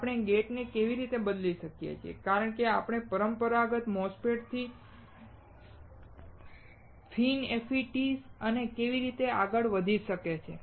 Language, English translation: Gujarati, How we can change the gate and how we can move from the traditional MOSFET to FINFETS and so on